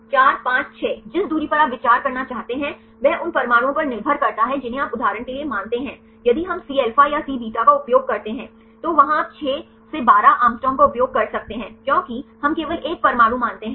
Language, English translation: Hindi, 4 5 6 which distance you want to consider depending upon the atoms you consider for example, if we use a Cα or Cβ, there you can use the distance of 6 to 12 Å right because we consider only one atom